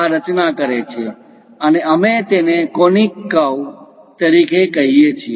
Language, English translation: Gujarati, These are constructors, so we call them as conic curves